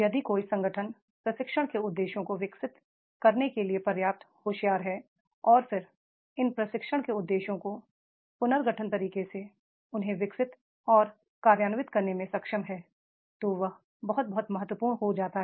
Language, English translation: Hindi, If an organization is smart enough to develop the training objectives and then after this training objectives they are able to develop and implement them in a restructured way that becomes very very important